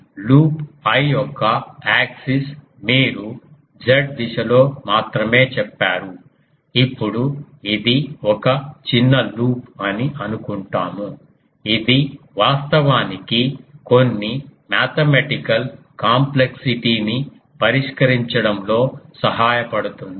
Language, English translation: Telugu, So, axis of the loop I only you said in the Z direction; now we assume that this this is a small loop um that actually helps in solving some mathematical complexity